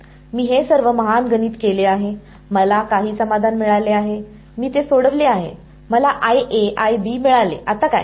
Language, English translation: Marathi, I have done all these great math I have got some solution I have solved it got I A I B now what